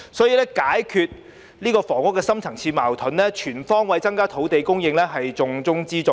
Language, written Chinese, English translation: Cantonese, 因此，要解決這個房屋方面的深層次矛盾，全方位增加土地供應是重中之重。, Therefore to resolve this deep - seated conflict over housing increasing land supply on all fronts should be the top priority